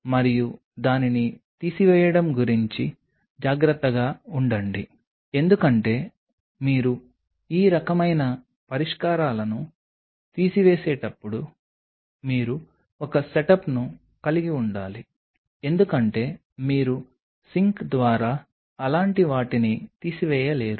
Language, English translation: Telugu, And be careful about draining it because when you are draining these kinds of solutions you should have a setup because you cannot drain such things through the sink